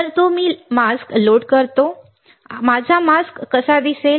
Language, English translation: Marathi, So, I load the mask, how my mask will look like